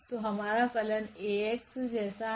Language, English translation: Hindi, So, our function is like Ax